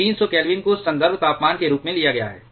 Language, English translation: Hindi, 300 Kelvin has been taken as a reference temperature